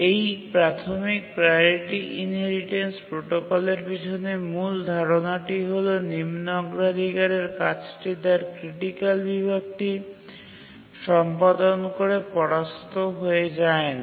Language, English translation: Bengali, The main idea behind the basic priority inheritance protocol is that once a lower priority task is executing its critical section, it cannot be preempted